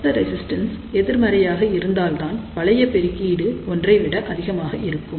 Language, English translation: Tamil, So, that the net resistance is negative and if the net resistance is negative then only loop gain will be greater than one